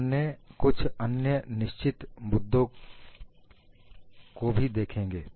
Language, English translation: Hindi, We will also look at certain other issues